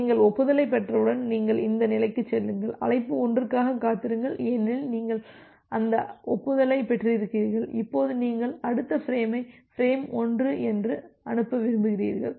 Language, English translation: Tamil, And then once you are receiving the acknowledgement, then you move to this state, that wait for call one because you have received that acknowledgement, now you want to send the next frame that is frame 1